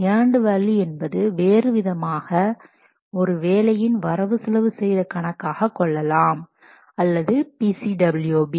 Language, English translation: Tamil, This is otherwise known as budgeted cost of work performed or BCWB